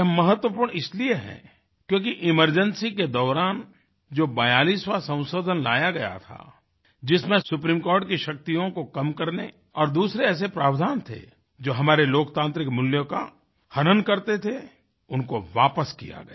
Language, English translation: Hindi, This was important because the 42nd amendment which was brought during the emergency, curtailed the powers of the Supreme Court and implemented provisions which stood to violate our democratic values, was struck down